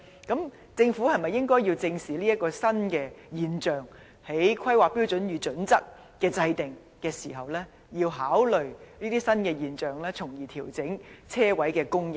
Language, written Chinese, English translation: Cantonese, 政府是否應該正視這個新現象，在制訂《香港規劃標準與準則》時一併考慮，從而調整泊車位的供應。, The Government should squarely face this new phenomenon and consider it in the course of formulating HKPSG so as to adjust the supply of parking spaces